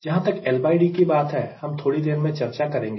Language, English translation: Hindi, as far as l by d is concerned, we will be discussing little later